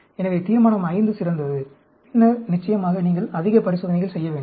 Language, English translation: Tamil, So, Resolution V is great, and then, of course you need to do more experiments